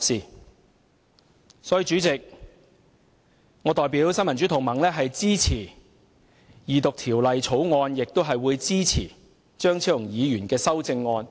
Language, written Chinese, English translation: Cantonese, 因此，主席，我代表新民主同盟支持二讀《條例草案》，並支持張超雄議員的修正案。, Therefore President on behalf of the Neo Democrats I support the Second Reading of the Bill as well as Dr Fernando CHEUNGs amendments